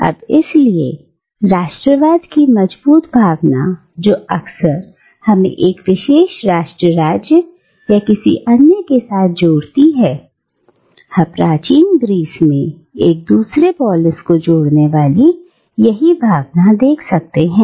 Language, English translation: Hindi, Now, therefore, the strong sense of nationalism that often ties us today with one particular Nation State or another, we can find a similar sentiment connecting individuals in ancient Greece with one particular polis or another